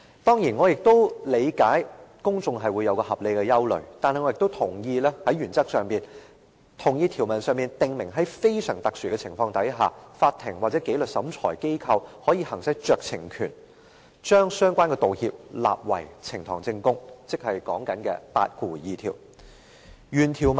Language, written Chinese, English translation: Cantonese, 當然，我也理解公眾會有合理的疑慮，但我在原則上同意，於條文中訂明在非常特殊的情況下，法庭或紀律審裁機構可以行使酌情權，將相關的道歉納為呈堂證供，也就是第82條的規定。, Of course I also understand the legitimate doubt that the public may have . But I agree in principle the stipulation under clause 82 that is the court or disciplinary tribunal may exercise discretion to admit the relevant apology as evidence in the proceedings under an exceptional circumstance as stated in the provision